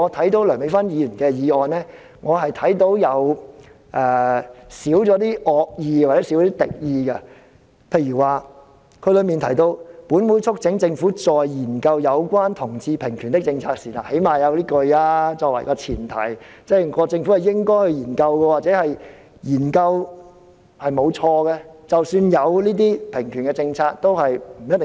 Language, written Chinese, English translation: Cantonese, 至於梁美芬議員的修正案，我看到的是少了一些敵意，例如她提到"本會促請政府在研究有關同志平權的政策時"，她最低限度有這一句作為前提，即認為政府應該進行研究，研究是沒有錯的，或者有同志平權的政策也不是錯。, With regards to Dr Priscilla LEUNGs amendment I find them less hostile . For example she says that this Council urges the Government that in its policy studies on equal rights for people of different sexual orientations at least she uses this as a prerequisite . This is she considers the Government should conduct the studies as it is alright to conduct the studies or it is alright to formulate the policies for equal rights for people of different sexual orientations